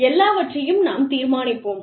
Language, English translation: Tamil, We will decide everything